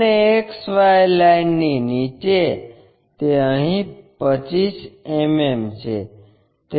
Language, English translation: Gujarati, And, in below XY line it is 25 mm here